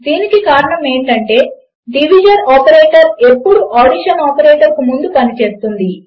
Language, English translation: Telugu, Now, the reason for this is that division operator will always work before addition operator